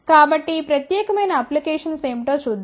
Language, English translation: Telugu, So, let us look at what are the applications of this particular